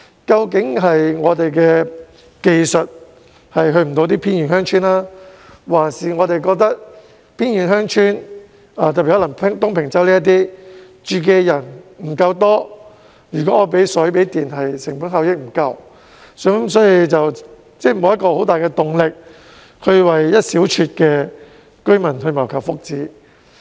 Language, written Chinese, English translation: Cantonese, 究竟是我們的技術不能覆蓋偏遠鄉村，還是我們認為偏遠鄉村，特別是東平洲等地的居住人口不夠多，為他們供水供電的成本效益不足，所以政府沒有很大的動力為那一小撮的居民謀求福祉？, Is it because our technology is not advanced enough to cover remote villages? . Or is it because we think that as the population of remote villages such as those in Tung Ping Chau is not large enough it is not cost - effective to provide them with fresh water and electricity systems? . Is this the reason why the Government lacks the incentive to improve the well - being of the small number of residents in those places?